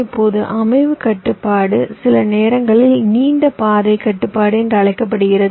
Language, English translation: Tamil, now, you see, setup constraint is sometimes called long path constraint